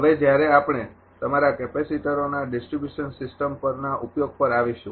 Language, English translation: Gujarati, Now, when we will come to that application of your capacitors to distribution system